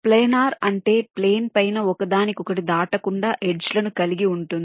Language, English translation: Telugu, planar means it can be be laid out on a plane without the edges crossing each other